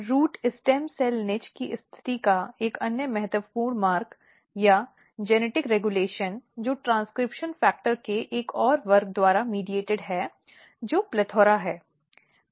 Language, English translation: Hindi, Another important pathway or genetic regulation of positioning root stem cell niche is mediated by another class of transcription factor which is PLETHORA